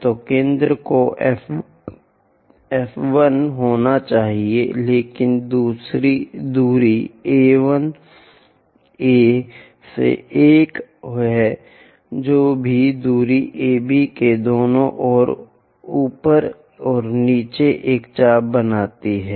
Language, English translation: Hindi, So, centre has to be F 1, but the distance is A 1 A to one whatever the distance make an arc on top and bottom on either sides of AB